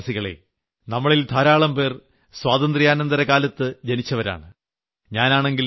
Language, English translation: Malayalam, My dear countrymen there are many among us who were born after independence